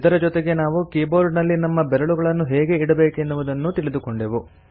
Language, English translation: Kannada, We also learnt how to: Place our fingers on the key board